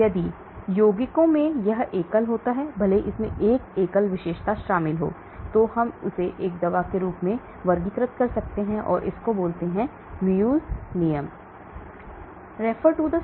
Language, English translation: Hindi, If the compounds contained this single, even if it contains 1 single feature then we can also classify it as a drug, that is called Muegge rule